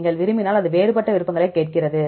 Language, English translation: Tamil, If you want also it ask for the different options